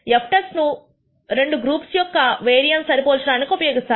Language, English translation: Telugu, The f test is used when for comparing variances of two groups